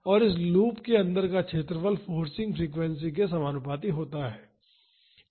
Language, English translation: Hindi, And, the area inside this loop is proportional to the forcing frequency